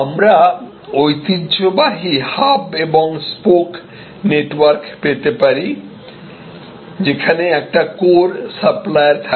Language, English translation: Bengali, We can have the traditional hub and spoke network, this is the core supplier